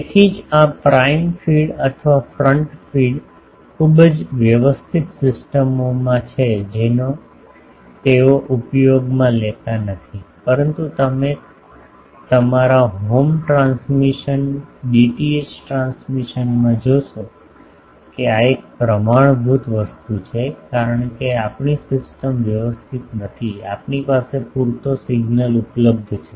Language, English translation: Gujarati, So, that is why this prime feed or this front feed is in the very sophisticated systems they are not used, but you see our home transmission, DTH transmission, this is the standard thing because our systems are not so, sophisticated we have enough signal available